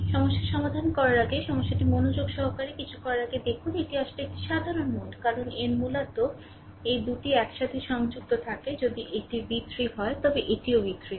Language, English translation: Bengali, Before you solve the problem look at the problem carefully before doing anything this is actually a common node because its a its basically these 2 are connected together if it is v 3 this is also v 3 right